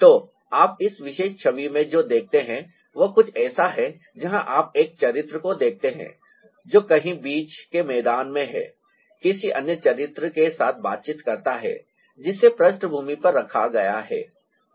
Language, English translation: Hindi, so what you see in this particular image is, ah, something where you see a character which is somewhere in the middle ground interacting with another character who is placed at the background